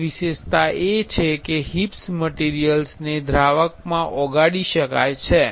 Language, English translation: Gujarati, And one specialty is the HIPS material can be dissolved in a solvent